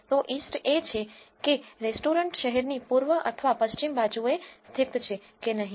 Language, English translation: Gujarati, So, east is whether the restaurant is located on the east or west side of the city